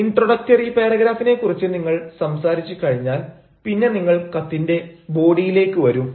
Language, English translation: Malayalam, once you have talked about the introductory paragraph, then you will come to the body of the letter where you will explain about the product